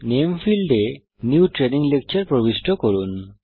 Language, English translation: Bengali, In the Name field, enter New Training Lecture